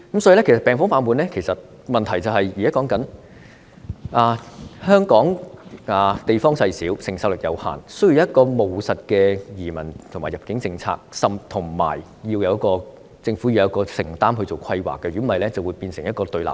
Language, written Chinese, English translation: Cantonese, 所以，現在說病房爆滿的問題，是因為香港地方細小，承受力有限，需要一項務實的移民和入境政策，政府亦要有承擔進行規劃，否則便會變成一個對立面。, Therefore the present problem of medical wards being too full is due to the fact that Hong Kong is small with limited capacity . It needs pragmatic immigration and admission policies and the Government also needs to be committed in its planning otherwise confrontation between relevant parties will be resulted